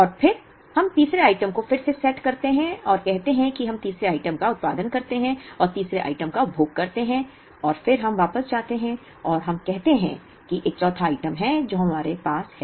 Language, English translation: Hindi, And then we again setup the third item and say we produce the third item and consume the third item, and then we go back and let us say there is a fourth item that we have